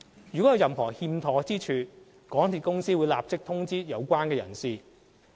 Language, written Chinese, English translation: Cantonese, 如有任何欠妥之處，港鐵公司會立即通知有關人士。, If there are any defects MTRCL will immediately notify the relevant persons